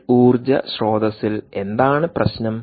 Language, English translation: Malayalam, what is a problem with this energy source